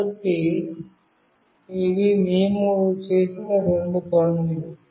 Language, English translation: Telugu, So, these are the two things that we have done